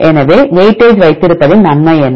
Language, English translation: Tamil, So, what is the advantage of having weightage